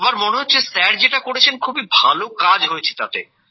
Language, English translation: Bengali, Everyone is feeling that what Sir has done, he has done very well